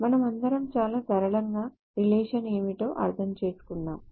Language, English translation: Telugu, And, well, very simply we all understand what a relation is